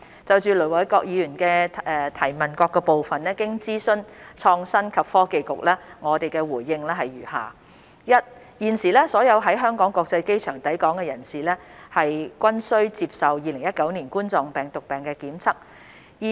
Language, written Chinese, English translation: Cantonese, 就盧偉國議員質詢的各部分，經諮詢創新及科技局，我的回應如下：一現時所有於香港國際機場抵港的人士，均須接受2019新型冠狀病毒檢測。, In consultation with the Innovation and Technology Bureau our reply to the various parts of the question raised by Ir Dr LO Wai - kwok is as follows 1 At present all persons arriving at the Hong Kong International Airport HKIA are required to undertake testing for COVID - 19